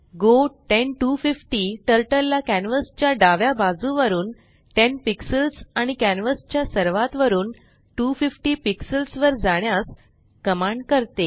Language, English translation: Marathi, go 10,250 commands Turtle to go 10 pixels from left of canvas and 250 pixels from top of canvas